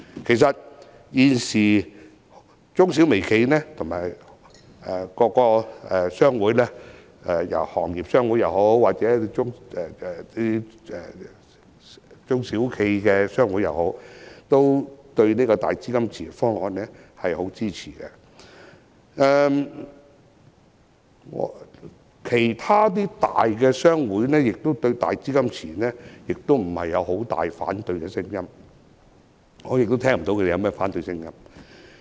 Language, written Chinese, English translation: Cantonese, 其實，現時中小微企的各大商會包括行業商會和中小企商會，均十分支持"大基金池"方案。其他大商會亦對"大基金池"沒有太大的反對聲音，而我亦聽不到他們有反對的聲音。, In fact major trade associations of MSMEs including those of different industries and small and medium enterprises are very supportive of the enhanced version of the cash pool proposal; and other major trade associations have no strong opposition against it either or at least I have not heard any strong opposition from them